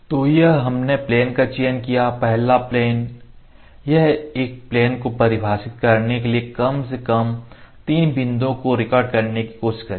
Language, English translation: Hindi, So, this we have selected plane; plane one, it will try to record the points at least 3 points are required to define a plane